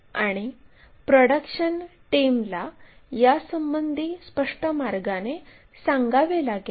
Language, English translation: Marathi, And it has to be conveyed in a clear way to this production team